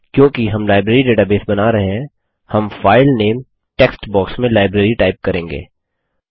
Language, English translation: Hindi, Since we are building a Library database, we will type Library in the File Name text box